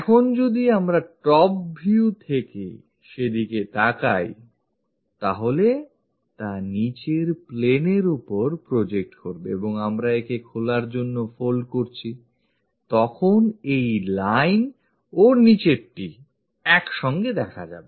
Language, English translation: Bengali, Now, top view, if we are looking from that direction; so, it projects onto this bottom plane and we are folding it to open it, then this line and the bottom one coincides